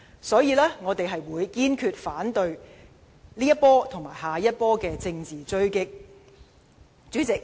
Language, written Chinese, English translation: Cantonese, 所以，我們堅決反對這一波和下一波的政治追擊。, That is why we will staunchly fight against this round and the next round of political attacks